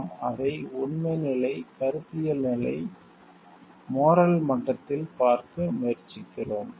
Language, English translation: Tamil, And we try to see it from the factual level, conceptual level, and the moral level